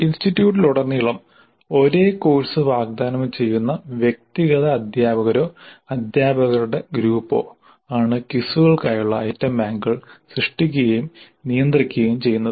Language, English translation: Malayalam, The item banks for quizzes are created and managed by the individual teachers or the group of teachers offering a same course across the institute